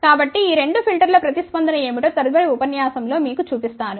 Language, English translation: Telugu, So, in the next lecture I will show you what is the response of these two filters, ok